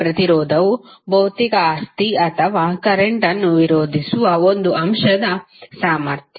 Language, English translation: Kannada, So resistance is a physical property or ability of an element to resist the current